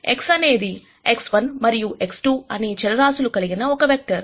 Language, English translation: Telugu, X is a vector of variables x 1 and x 2